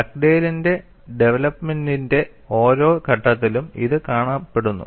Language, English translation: Malayalam, This is seen at every step of Dugdale’s development, so keep a note of this